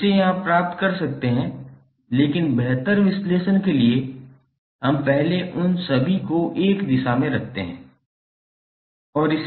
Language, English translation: Hindi, So from this you can get but for better analysis we first keep all of them in one direction and solve it